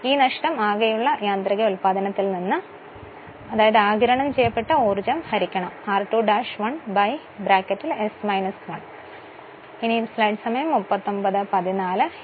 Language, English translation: Malayalam, And this loss would be subtracted from the gross mechanical output that is power absorbed by r 2 dash 1 upon s minus 1 this one right